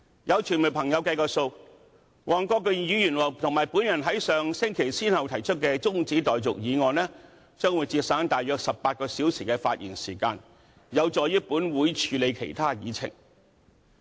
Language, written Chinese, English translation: Cantonese, 有傳媒朋友計算，黃國健議員和我在上星期先後動議的中止待續議案，可節省大約18小時的發言時間，有助本會處理其他議程項目。, According to the estimate of the media the adjournment motions moved respectively by Mr WONG Kwok - kin and I last week would save about 18 hours of speaking time thereby allowing this Council to deal with other agenda items